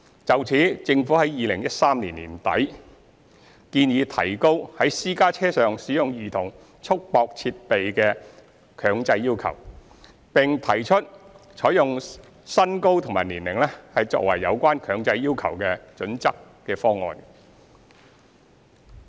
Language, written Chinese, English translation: Cantonese, 就此，政府在2013年年底建議提高強制在私家車上使用兒童束縛設備的要求，並提出採用身高和年齡作為有關強制要求的準則的方案。, In this connection the Government proposed in the end of 2013 to tighten the mandatory requirement on the use of CRD in private cars and recommended using body height and age as the criteria concerned